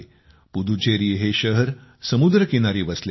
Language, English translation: Marathi, Puducherry is situated along the sea coast